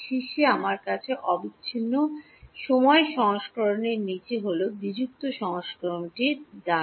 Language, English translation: Bengali, On top, I have the continuous time version bottom is the discrete version right